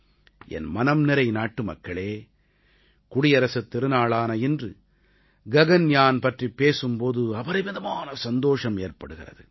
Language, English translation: Tamil, My dear countrymen, on the solemn occasion of Republic Day, it gives me great joy to tell you about 'Gaganyaan'